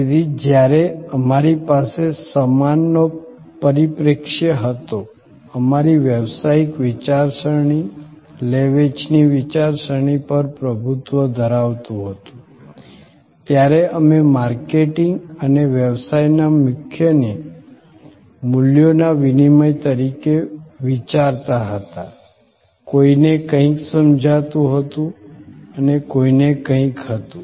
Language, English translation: Gujarati, So, when we had the goods perspective, dominating our business thinking, marketing thinking, we thought of marketing and the core of business as exchange a values, somebody wanted something and somebody had something